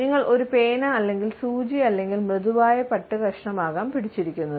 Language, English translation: Malayalam, You might be holding a pen or a needle or a piece of soft silk